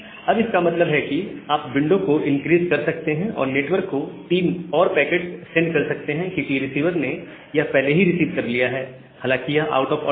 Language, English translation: Hindi, So that means, you can increase the congestion window, and send three more packets to the network, because that has been received by the receiver, although out of order